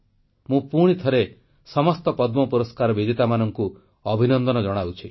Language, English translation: Odia, Once again, I would like to congratulate all the Padma award recipients